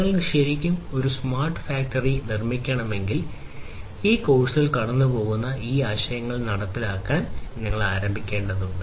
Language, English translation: Malayalam, And if you really need to build a smart factory basically you have to start implementing these concepts that we are going through in this course